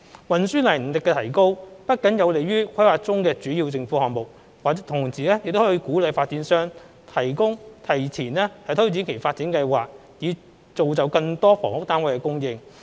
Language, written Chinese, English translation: Cantonese, 運輸能力的提高不僅有利於規劃中的主要政府項目，同時能鼓勵發展商提前推展其發展計劃以造就更多房屋單位的供應。, Not only will the enhancement of transport capability benefit key government projects under planning it can also encourage developers to advance their developments with larger housing yield